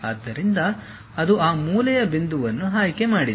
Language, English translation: Kannada, So, it has selected that corner point